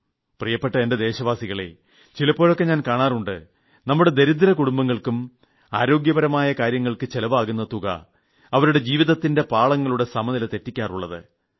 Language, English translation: Malayalam, My dear countrymen, sometimes I notice that the money that our poor families have to spend on their healthcare, throws their life off the track